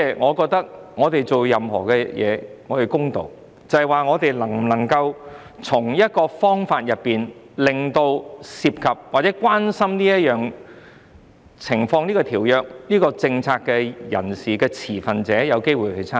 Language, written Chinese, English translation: Cantonese, 我覺得做所有事情都要公道，我們能否找到方法令涉及或關心這條約和政策的持份者有機會參與？, I think we must act in a fair manner . Can we find a way so that stakeholders involved in or concerned about the Convention and policy can have the opportunity to get involved?